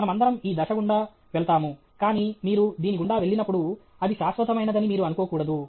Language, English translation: Telugu, All of us go through that this thing, but that when you go through this, you should not think that is permanent okay